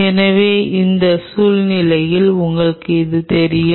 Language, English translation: Tamil, So, in that situation you know that